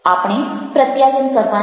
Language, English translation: Gujarati, we have to communicate